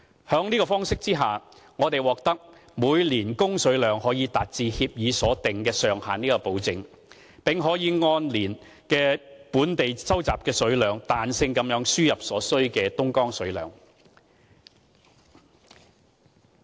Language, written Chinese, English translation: Cantonese, 在這方式下，我們獲得保證每年供水量可達至協議所訂上限，並可以按當年的本地集水量，彈性輸入所需的東江水。, With this approach we have obtained guarantee that the supply quantity each year can reach the ceiling specified by the agreement and we can flexibly import Dongjiang water according to the natural yield each year in Hong Kong